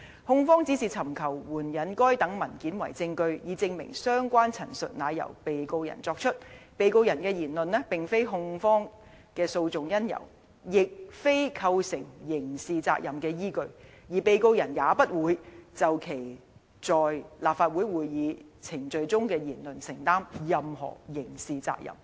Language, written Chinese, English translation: Cantonese, 控方只是尋求援引該等文件為證據，以證明相關陳述乃由被告人作出......被告人的言論並非控方的訴訟因由，亦非構成刑事責任的依據，而被告人也不會就其在立法會會議程序中的言論承擔任何刑事責任。, Rather the Prosecution is seeking to adduce the documents as evidence of the fact that such statements were made by the Defendant The words said by the Defendant are not the cause of prosecution action or the foundation of criminality liability and he is not exposed to any criminal liability in respect of what he said in Legislative Council proceedings